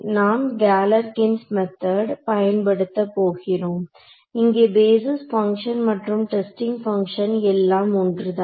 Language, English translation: Tamil, We are going to do what is called Galerkin’s method, where the basis functions and the testing function are the same right ok